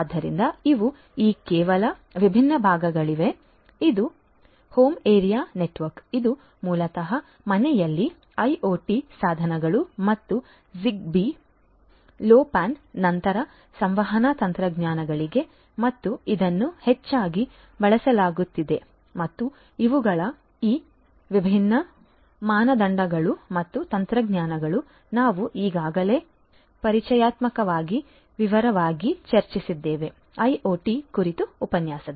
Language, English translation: Kannada, So, these are some of these different parts this is the well known ones are home area network, which is basically IoT devices in the home and for these communication technologies like Zigbee, 6LoWPAN and are often used and these are these different standards and technologies that we have already discussed in detail in an introductory lecture on IoT